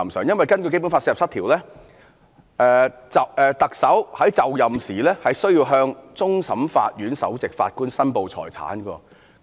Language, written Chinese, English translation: Cantonese, 因為根據《基本法》第四十七條，行政長官就任時應向終審法院首席法官申報財產。, According to Article 47 of the Basic Law the Chief Executive on assuming office should declare his or her assets to the Chief Justice of the Court of Final Appeal